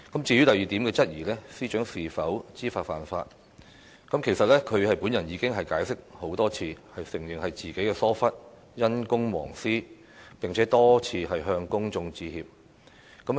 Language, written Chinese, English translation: Cantonese, 至於第二點質疑，即司長是否知法犯法，其實她已經解釋很多次，承認是自己疏忽，因公忘私，並且多次向公眾致歉。, As for the second query that is whether the Secretary for Justice had knowingly violated the law she has actually given her explanation time and again acknowledging her negligence and her neglect of private affairs due to engagement in public service . And she has apologized to the public time and again